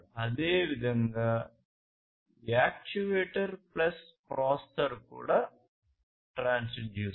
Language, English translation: Telugu, Similarly, actuator plus processor is also a transducer, right